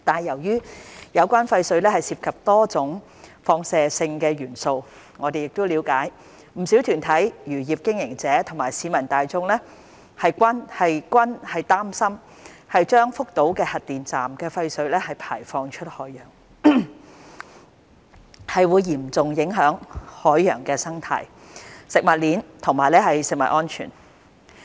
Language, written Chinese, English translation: Cantonese, 由於有關廢水涉及多種放射性元素，我們了解不少團體、漁業經營者和市民大眾均擔心將福島核電站的廢水排放出海洋，會嚴重影響海洋生態、食物鏈以至食物安全。, Since the wastewater contains various radionuclides we understand that many organizations fishery operators and members of the public are concerned that the discharge of wastewater from the Fukushima Nuclear Power Station into the ocean would have serious impact on marine ecosystem the food chain and food safety